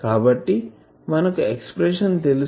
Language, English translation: Telugu, So, we know this expression